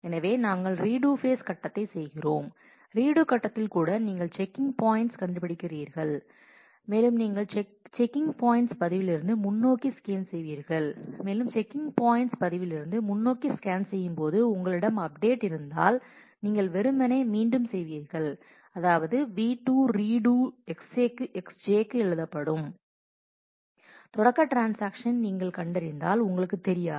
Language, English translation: Tamil, So, we are doing the redo phase, even the redo phase you will find the check point and you will scan forward from the checkpoint record and as you scan forward from the checkpoint record; if you have an update, you will simply redo which means V 2, will again be written to X j and when you find a start transaction, then you do not know